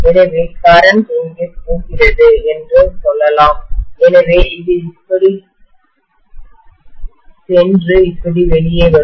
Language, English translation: Tamil, So let us say the current is going in here, so it will go like this and come out like this, fine